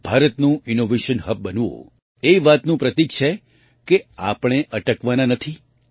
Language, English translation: Gujarati, India, becoming an Innovation Hub is a symbol of the fact that we are not going to stop